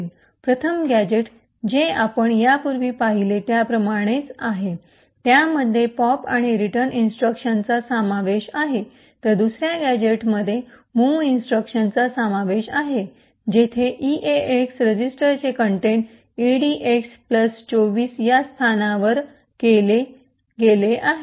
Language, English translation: Marathi, The first gadget is similar as what we have seen before comprising of the pop and return instruction, while the second gadget comprises of a mov instruction where the contents of the eax register is moved into the location edx plus 24